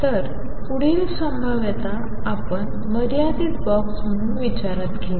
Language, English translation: Marathi, So, the next potential we consider as a finite box